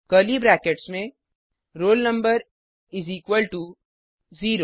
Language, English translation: Hindi, Within curly brackets roll number is equal to 0